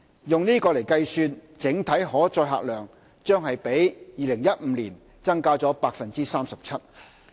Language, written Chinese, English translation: Cantonese, 以此計算，整體可載客量將比2015年增加 37%。, Based on the above the overall carrying capacity will increase by 37 % as compared to that in 2015